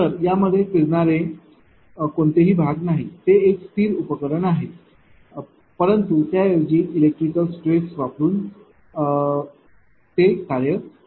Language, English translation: Marathi, So, it has no moving parts it is a static device, but instead your functions by being acted upon electric by electric stress right